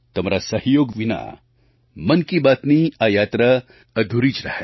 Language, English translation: Gujarati, Without your contribution and cooperation, this journey of Mann Ki Baat would have been incomplete